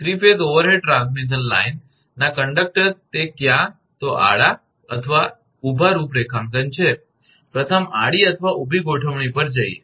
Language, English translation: Gujarati, The conductors of 3 phase overhead transmission line it either horizontal or vertical configuration, first come to horizontal or vertical configuration